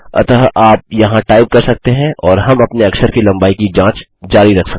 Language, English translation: Hindi, So, you can type here and we can keep checking your character length